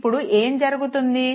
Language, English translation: Telugu, Now what happens